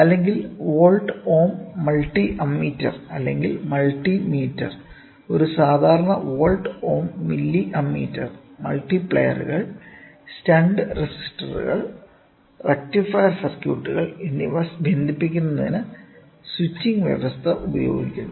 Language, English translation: Malayalam, Next one is Volt Ohm Multi ammeter or Multi meters; a typical volt ohm milli ammeter employs switching provision for connecting multipliers, stunt resistors and rectifier circuits